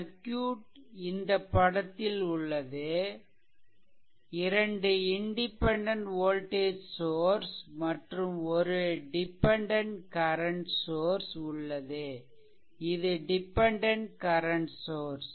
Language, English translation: Tamil, So, this is that figure right, so 2 independent your voltage sources are there one dependent your current source is there right